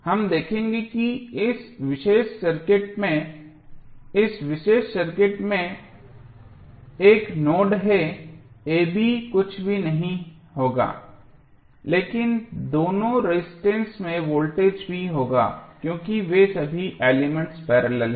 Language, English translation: Hindi, We will see that this particular circuit has 1 node the voltage across this particular circuit a, b would be nothing but the voltage across both of the resistances also because all those elements are in parallel